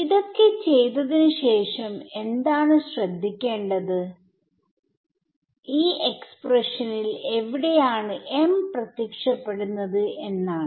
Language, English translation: Malayalam, So, what after doing all of this what is interesting to note is where is m appearing in this expression